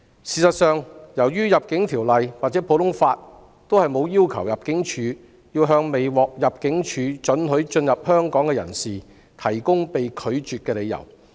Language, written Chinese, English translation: Cantonese, 事實上，《入境條例》或普通法均沒有規定入境處須向未獲入境處准許進入香港的人士提供理由。, In fact under the Immigration Ordinance or the common law the Immigration Department ImmD is not required to provide an applicant with any reason for not granting him permission to enter Hong Kong